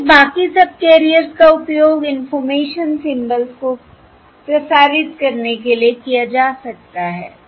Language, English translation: Hindi, Therefore the rest of the subcarriers can be used to transmit information symbols, all right